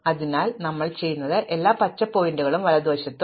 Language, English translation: Malayalam, So, what we do is that everything to the right of the green pointer